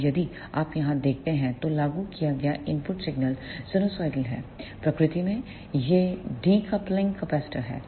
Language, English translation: Hindi, Now, if you see here here the input signal applied is sinusoidal in nature these are the decoupling capacitors